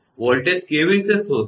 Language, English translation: Gujarati, How to find out the voltage